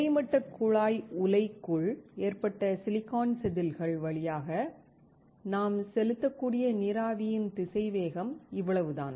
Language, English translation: Tamil, This is the velocity of the water vapor that we can pass through the silicon wafers loaded inside the horizontal tube furnace